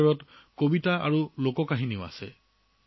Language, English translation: Assamese, These also include poems and folk songs